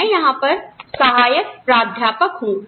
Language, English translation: Hindi, I am an assistant professor here